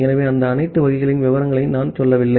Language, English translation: Tamil, So, I am not going to the details of all those variants